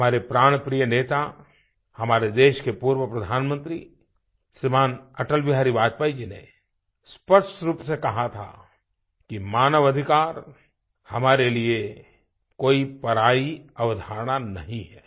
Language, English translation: Hindi, Our most beloved leader, ShriAtalBihari Vajpayee, the former Prime Minister of our country, had clearly said that human rights are not analien concept for us